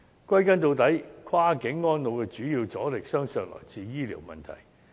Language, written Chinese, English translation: Cantonese, 歸根究底，跨境安老的主要阻力，相信是來自醫療問題。, All in all the major obstacle to cross - boundary elderly care probably comes from medical issues